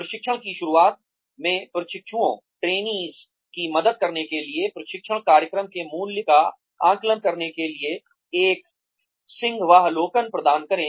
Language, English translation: Hindi, Provide an overview, at the beginning of training, to help trainees, assess the value of a training program